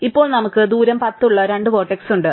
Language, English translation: Malayalam, Now, we have two vertices with distance 10